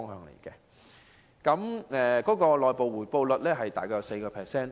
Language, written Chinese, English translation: Cantonese, 年金計劃的回報率大約為 4%。, The return rate under this annuity scheme is about 4 %